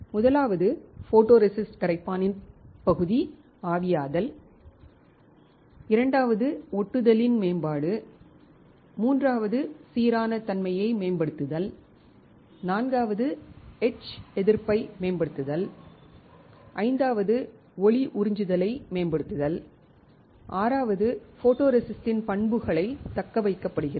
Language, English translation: Tamil, First is partial evaporation of photoresist solvents, second is improvement of adhesion, third is improving uniformity, fourth is improve etch resistance, fifth is optimize light absorbance, sixth is characteristics of photoresist is retained right